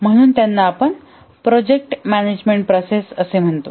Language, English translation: Marathi, So those we call as project management processes